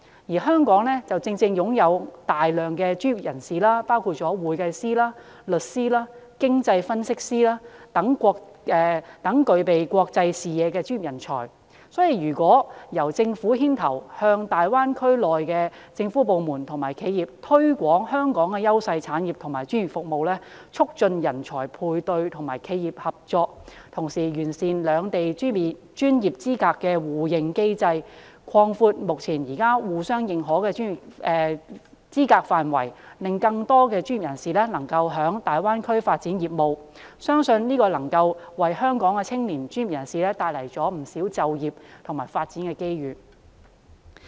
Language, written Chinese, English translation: Cantonese, 而香港正正擁有大量專業人士，包括會計師、律師、經濟分析師等具備國際視野的專業人才，如果由政府牽頭向大灣區內的政府部門和企業推廣香港的優勢產業和專業服務，促進人才配對和企業合作，同時完善兩地專業資格的互認機制，擴闊目前互相認可的專業資格範圍，讓更多專業人士可在大灣區發展業務，相信能為香港的青年專業人士帶來不少就業和發展機遇。, Nevertheless Hong Kong possesses a large number of professionals including accountants lawyers and economic analysts who are professional talents with international vision . If the Government takes the lead in promoting the Hong Kong industries with competitive edge and our professional services to the government departments and enterprises within the Greater Bay Area to facilitate talents matching and cooperation among enterprises improving the system for mutual recognition of professional qualifications between Hong Kong and the Mainland and extending the scope of mutual recognition of professional qualifications so that more professionals can develop their businesses in the Greater Bay Area I believe that a lot of employment and development opportunities can be brought to the young professionals in Hong Kong